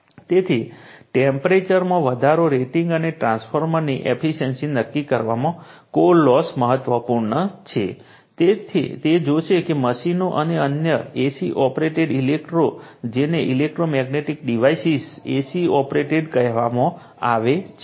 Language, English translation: Gujarati, So, core loss is important in determining temperature rise, rating and efficiency of transformer, we will see that right, machines and other your AC operated electro your what you call AC operated in electromagnetic devices